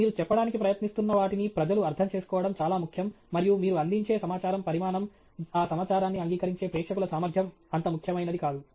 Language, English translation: Telugu, It’s very important that the people understand what you are trying to say and quantity of information you provide is not as important as the ability of the audience to accept that information